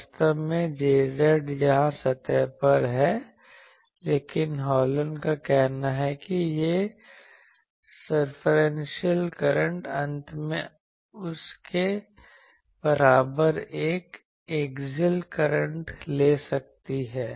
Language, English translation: Hindi, Actually J z is on surface here, but Hallen’s says that these circumferential current I can finally, take an axial current equivalent to that